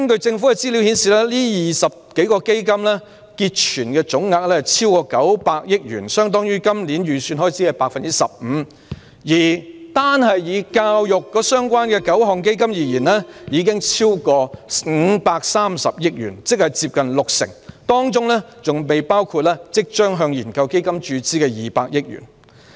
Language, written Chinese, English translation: Cantonese, 政府資料顯示，這20多個基金的結存總額超過900億元，相當於今年預算開支的 15%， 而以與教育相關的9個基金已超過530億元，即接近六成，當中還未包括即將向研究基金注資的200億元。, Government information shows that the total balance of more than 20 funds exceeds 90 billion equivalent to 15 % of the budgeted expenditure this year and the total balance of the nine funds related to education exceeds 53 billion ie . nearly 60 % of the total balance excluding 20 billion to be invested in the research fund